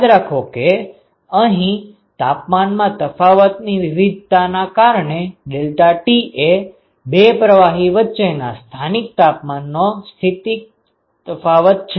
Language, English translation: Gujarati, So, that is the differential temperature variation, remember that deltaT is the local variation of the temperature between the two fluids local temperature difference